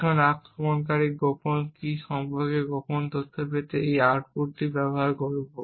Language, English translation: Bengali, Now the attacker would then use this incorrect output to gain secret information about the secret key